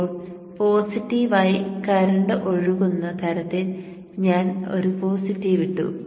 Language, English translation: Malayalam, Now I have put the positive in such a way that the current flows into the positive